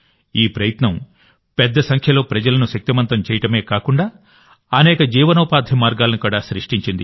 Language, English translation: Telugu, This effort has not only empowered a large number of people, but has also created many means of livelihood